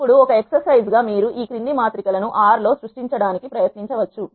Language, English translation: Telugu, Now, as an exercise you can try creating the following matrices in R